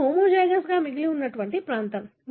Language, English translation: Telugu, This is a region that remains homozygous